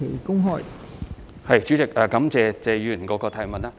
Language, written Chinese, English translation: Cantonese, 代理主席，我感謝謝議員的補充質詢。, Deputy President I thank Mr TSE for his supplementary question